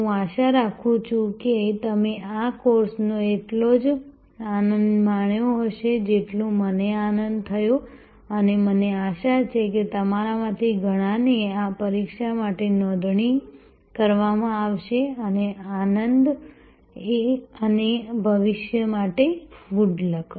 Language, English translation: Gujarati, I hope you enjoyed this course as much as I enjoyed and hope to see many of you registered for the examination and enjoy good luck